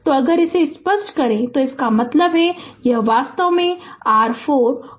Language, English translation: Hindi, So, if we clear it that means, this one actually your ah 4 and plus 5